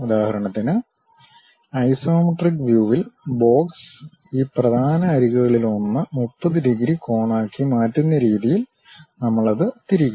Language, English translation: Malayalam, So, for example, in the isometric view the box; we will represent it in such a way that, it will be rotated in such a way that one of these principal edges makes 30 degree angle